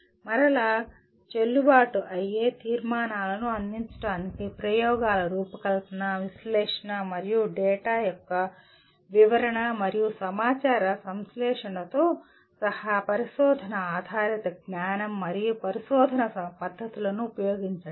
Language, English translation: Telugu, Again, use research based knowledge and research methods including design of experiments, analysis, and interpretation of data and synthesis of the information to provide valid conclusions